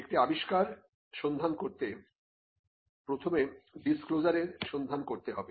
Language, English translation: Bengali, To look for an invention, the first thing is to look for a disclosure